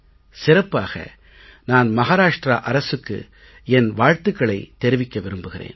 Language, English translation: Tamil, Today I especially want to congratulate the Maharashtra government